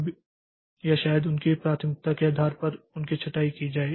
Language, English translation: Hindi, Now, or maybe they are sorted based on their priority